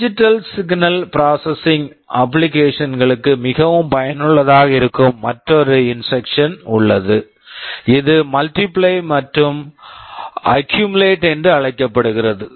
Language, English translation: Tamil, There is another instruction that is very much useful for digital signal processing applications, this is called multiply and accumulate